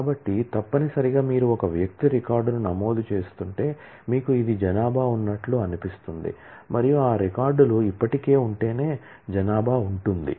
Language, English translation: Telugu, So, necessarily if you are entering a person record you need this feels to be populated and that can be populated only if those records already exists